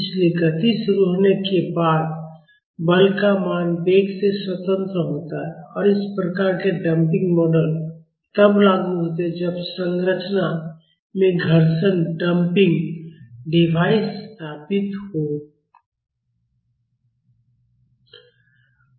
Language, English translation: Hindi, So, once the motion is initiated, the value of force is independent of velocity and this type of damping models are applicable when friction damping devices are installed in the structure